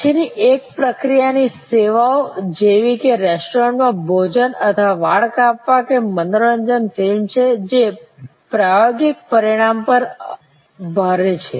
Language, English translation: Gujarati, The next one which is kind of services like restaurant meals or haircut or entertainment a movie, heavy on the experiential dimension